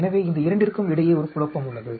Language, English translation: Tamil, So, there is a confounding between these two